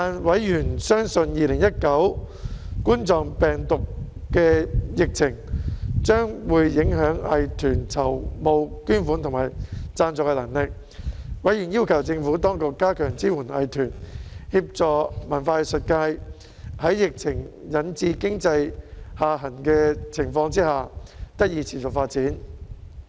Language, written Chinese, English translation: Cantonese, 委員相信2019冠狀病毒病疫情將影響藝團籌募捐款和贊助的能力，因而要求政府當局加強支援藝團，協助文化藝術界在疫情引致經濟下行之際得以持續發展。, Members believed that the ability of arts groups to raise donations and sponsorships had been affected by the Coronavirus Disease 2019 epidemic and thus requested the Administration to strengthen support for arts groups and to facilitate the sustainable development of the arts and culture sector against the backdrop of the economic downturn triggered by the pandemic